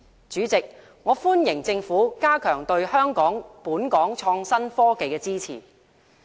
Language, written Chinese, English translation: Cantonese, 主席，我歡迎政府加強對香港創新科技的支持。, President I welcome the Governments decision to strengthen its support to innovation and technology